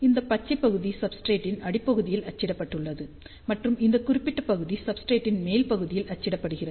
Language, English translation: Tamil, So, green portion is printed at the bottom side of the substrate, and this particular portion is printed on the top site of the substrate